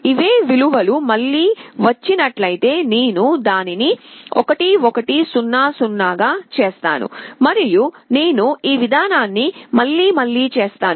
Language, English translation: Telugu, If it is other way round, I make it 1 1 0 0, and I repeat this process